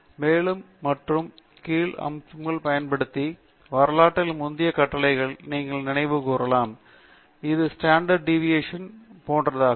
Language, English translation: Tamil, You can recall the previous commands in the history by using the up and down arrows and this is the standard deviation and so on